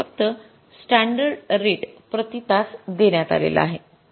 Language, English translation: Marathi, We are given the standard rate per hour